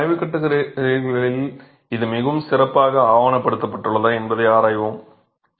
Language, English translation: Tamil, So, we will examine that it is very well documented in the literature